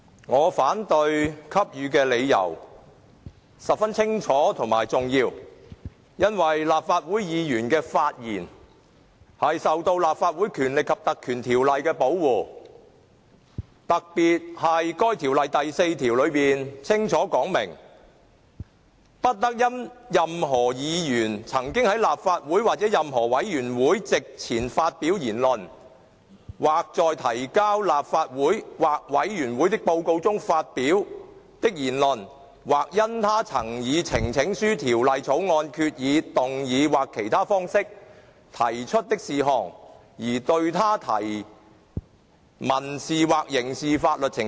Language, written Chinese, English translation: Cantonese, 我反對給予許可的理由十分清楚及重要，因為立法會議員的發言受到《立法會條例》的保護，特別是該條例第4條清楚指明"不得因任何議員曾在立法會或任何委員會席前發表言論，或在提交立法會或委員會的報告書中發表的言論，或因他曾以呈請書、條例草案、決議、動議或其他方式提出的事項而對他提起民事或刑事法律程序。, The grounds on which I refuse the leave are clear and significant as speeches made by Legislative Council Members are protected by the Legislative Council Ordinance Cap . 382 . Section 4 of this Ordinance in particular clearly provides that [n]o civil or criminal proceedings shall be instituted against any member for words spoken before or written in a report to the Council or a committee or by reason of any matter brought by him therein by petition Bill resolution motion or otherwise